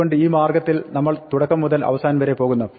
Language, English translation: Malayalam, So, in this way we go from beginning to the end